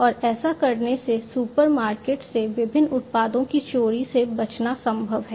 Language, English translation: Hindi, And by doing so it is possible to avoid theft of different products from the supermarkets and so on